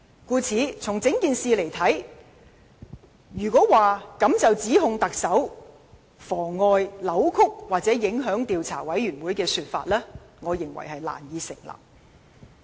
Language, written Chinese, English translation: Cantonese, 故此，就整件事來看，單憑這一點便指特首妨礙、扭曲或影響專責委員會調查的說法，我認為難以成立。, Therefore considering the matter as a whole I think it is difficult to say conclusively that the Chief Executive has frustrated deflected or affected the investigation of the Select Committee on the basis of this point alone